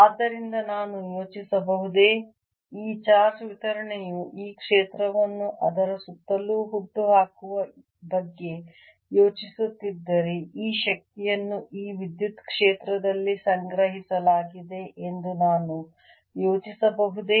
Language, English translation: Kannada, so can i think, if i am thinking of this, this ah charge distribution giving rise to this field all around it, can i think of this energy as if it has been stored in this electric field